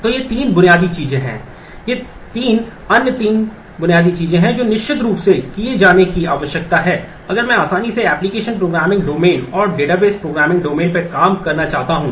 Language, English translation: Hindi, So, these are these are the three basic things, these three other three basic things that certainly needs to be done if I want to easily work across the application programming domain and the database programming domain